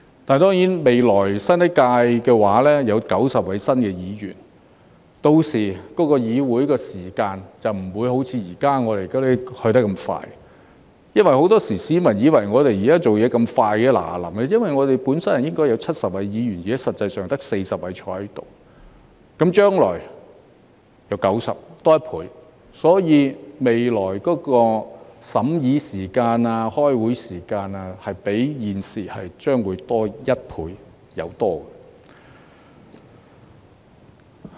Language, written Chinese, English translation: Cantonese, 但是，未來新一屆立法會有90位議員，屆時議會的會議速度便不會像現在這麼快——市民以為我們現在工作速度很快——因為我們本身應有70位議員，但現在實際上只有40位坐在這裏，而將來則會有90位議員，即多1倍，所以，未來審議法例的時間、開會時間將會較現時多1倍以上。, Anyway when there are 90 Members in the next Legislative Council Council meetings then will no longer proceed as fast as they presently do―members of the public think that we are working at great speed right now―because in actual fact only 40 Members are keeping their seats here instead of the original 70 and the number will stand at 90 ie . a double in the future . In the light of this future legislative scrutiny and meetings will take more than twice as long as the time currently required